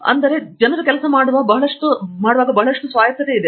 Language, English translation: Kannada, So, there is lot of autonomy by which people work